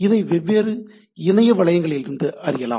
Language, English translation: Tamil, 2 this are from different Internet resources